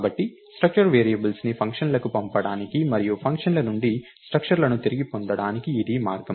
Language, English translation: Telugu, structure variables to functions and get back structures from functions